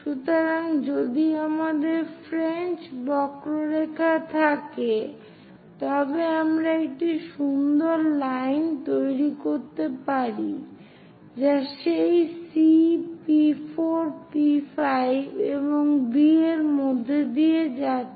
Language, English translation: Bengali, So, if we have French curves, one can smoothly construct a nice line which is passing through that C P 4 P 5 and B